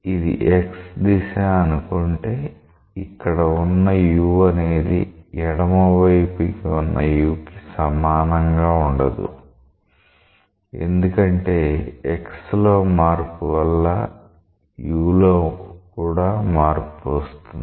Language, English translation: Telugu, So, if this is the x direction, the new u here is same is not the same as the u at the left phase, but this is because of change in u due to change in x